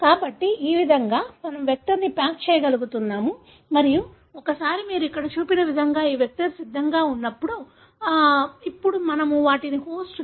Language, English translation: Telugu, So, this way we are able to pack the vector and once this vector is ready like what you have shown here, now we can put them inside a host